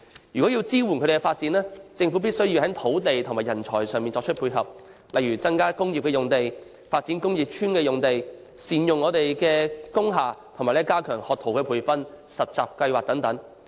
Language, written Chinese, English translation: Cantonese, 若要支援他們發展，政府必須從土地和人才上作出配合，例如增加工業用地、發展工業邨用地、善用工廈，以及加強培訓學徒、實習的計劃等。, The Government must provide support for their development in terms of land and talent . For example it should increase industrial land develop industrial estate sites make good use of industrial buildings and improve apprenticeship training and internship programmes etc